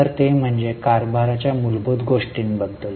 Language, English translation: Marathi, So that was about the basics of governance